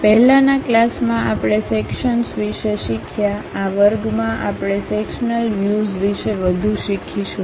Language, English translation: Gujarati, In the earlier classes, we have learned about Sections, in this class we will learn more about Sectional Views